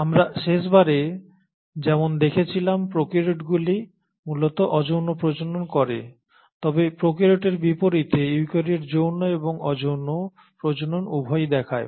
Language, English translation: Bengali, And as we had seen last time prokaryotes mainly reproduce asexually, but in contrast to prokaryotes, eukaryotes exhibit both sexual and asexual mode of reproduction